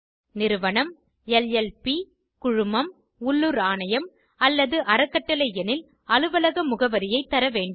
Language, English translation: Tamil, In case of a Firm, LLP, Company, Local Authority or a Trust, complete office address is mandatory